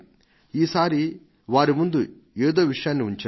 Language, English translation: Telugu, This time I put some issues before them